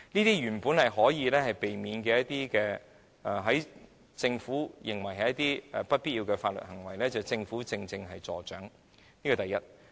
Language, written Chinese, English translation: Cantonese, 這些原先可以避免的事情、政府認為不必要的法律行為，正正是由政府助長的，此其一。, The Government has precisely encouraged all such matters which are initially avoidable and those legal actions deemed unnecessary by the Government . This is the first point